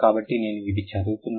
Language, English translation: Telugu, So, let me just read it